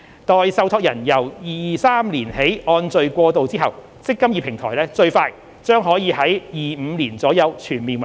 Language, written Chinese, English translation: Cantonese, 待受託人由2023年起按序過渡後，"積金易"平台最快將可於2025年左右全面運作。, The eMPF Platform will come into full operation in around 2025 at the earliest following the migration of trustees in a sequential manner from 2023 onwards